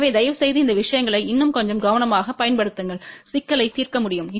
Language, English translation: Tamil, So, please apply these things little bit more carefully and that way you can solve the problem